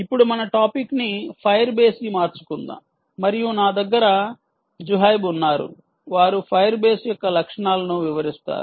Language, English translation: Telugu, now let us shift our topic to the fire base, and i have with me um zuhaib ah, who will demonstrate the features of fire base